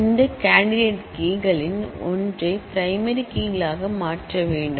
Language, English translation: Tamil, So, one of these candidate keys have to be made the primary keys